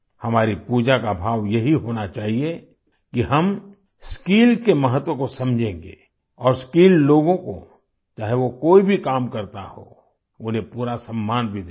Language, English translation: Hindi, The spirit of our worship should be such that we understand the importance of skill, and also give full respect to skilled people, no matter what work they do